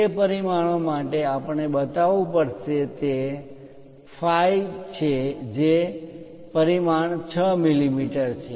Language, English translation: Gujarati, For that dimensions we have to show, it is phi is 6 millimeters of dimension